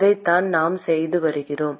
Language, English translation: Tamil, That is what we have been doing